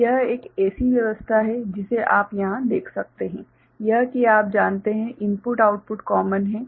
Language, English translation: Hindi, So, this is one such arrangement what you can see over here right this is the you know, input output is common